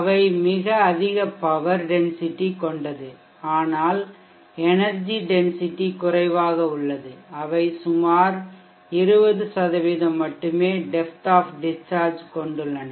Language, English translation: Tamil, They have very high power density requirement but the energy density is low, they have the depth of discharge of around 20% only